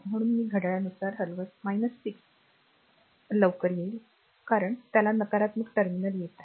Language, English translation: Marathi, So, as soon as I move clock wise that minus 6 will come fast, right because it is encountering negative terminal